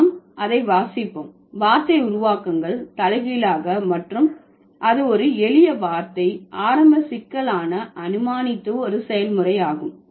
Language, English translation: Tamil, Word formations are reversed and it is a process of assuming a simpler word to be complex to begin with